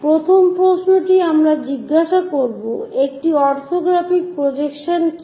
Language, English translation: Bengali, First question we will ask what is an orthographic projection